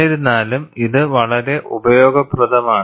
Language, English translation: Malayalam, Nevertheless, this is very useful